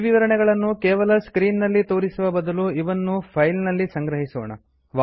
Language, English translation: Kannada, Instead of just displaying all these information on the screen, we may store it in a file